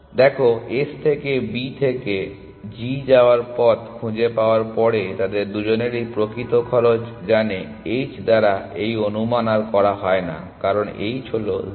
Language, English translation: Bengali, See after they have found the path going from S to B to g both of them know the actual cost there is no longer this estimation done by h because, h is 0